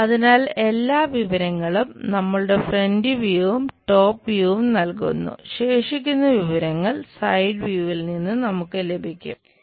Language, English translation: Malayalam, So, all the information is provided from our front views and top views